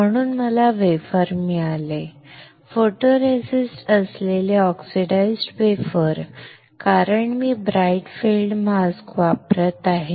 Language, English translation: Marathi, So I got a wafer, a oxidize wafer with photoresist, because I am using bright field mask